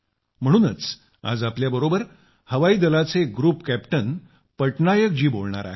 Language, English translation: Marathi, That is why Group Captain Patnaik ji from the Air Force is joining us